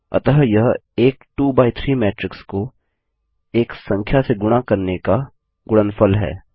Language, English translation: Hindi, So there is the product of multiplying a 2 by 3 matrix by a number